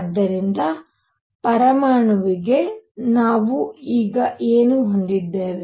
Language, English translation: Kannada, So, what do we have for an atom now